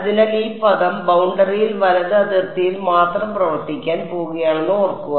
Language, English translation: Malayalam, So, remember this term was going to coming into play only on the boundary right only on boundary